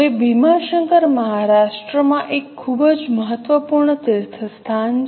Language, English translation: Gujarati, Now, Bhima Shankar is a very important pilgrimage place in Maharashtra